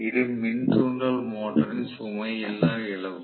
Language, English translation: Tamil, This is the no load loss of the induction motor